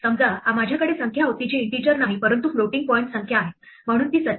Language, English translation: Marathi, Supposing, I had number which is not an integer, but a floating point number, so it is 47